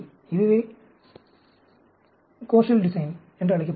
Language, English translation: Tamil, This is called a Koshal Design